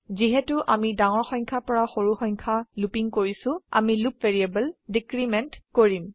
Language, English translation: Assamese, Since we are looping from a bigger number to a smaller number, we decrement the loop variable